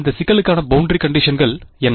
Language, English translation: Tamil, What is a boundary condition for this problem